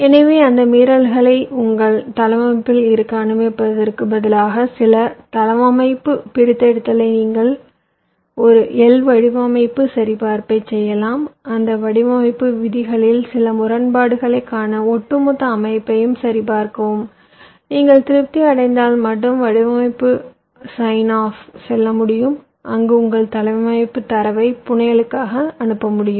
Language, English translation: Tamil, so instead of letting those violations remain with your layout, it is always the case that you do a physical design verification, to do some layout extraction, verify the layout overall to look for some anomalies in those design rules and only if an your satisfy with that, then only you can go for the so called design sign of where you can ah actually send your this layout data for fabrication